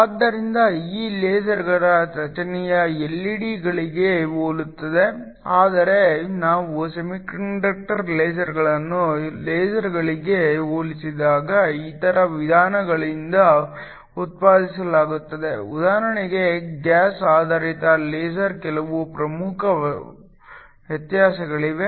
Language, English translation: Kannada, So, the structure of these LASERs is very similar to LED’s, but when we compare semiconductor lasers to LASERs produced by other means for example, a gas based laser there are some important differences